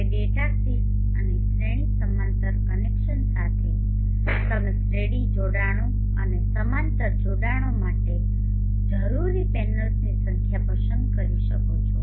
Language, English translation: Gujarati, Now with data sheets and series parallel connection you can choose the number of panels that are needed for series connections and parallel connections